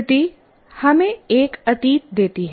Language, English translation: Hindi, First of all, memory gives us a past